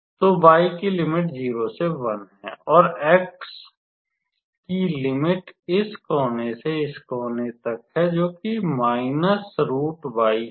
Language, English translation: Hindi, So, y is varying from 0 to 1 and x will vary from this corner to this corner